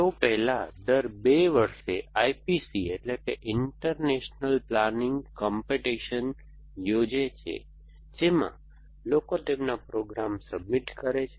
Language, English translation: Gujarati, They used to be, there is every 2 years a competition call I P C international planning competition, in which people submit their programs